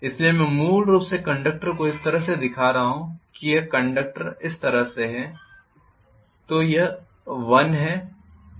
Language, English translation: Hindi, So I am essentially showing conductors like this this is how the conductors are